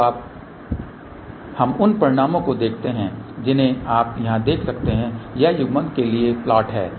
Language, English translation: Hindi, So, now let us see the results you can see here this is the plot for the coupling